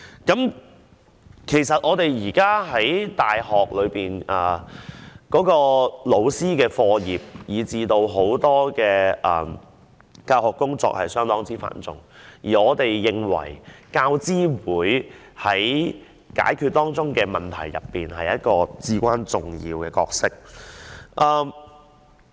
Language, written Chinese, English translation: Cantonese, 事實上，現在大學老師的課業，以至教學工作等都頗為繁重，而我們認為大學教育資助委員會在解決當中的問題方面，扮演着至關重要的角色。, In fact the teaching work are quite heavy for university teachers in these days and we consider that UGC is playing a vital role in resolving the problems relating to teaching and learning